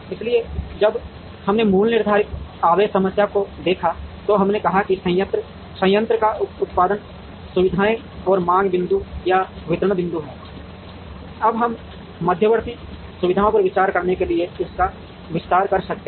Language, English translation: Hindi, So, when we looked at the basic fixed charge problem, we said there are plants or production facilities and there are demand points or distribution points, now we can expand this to consider intermediate facilities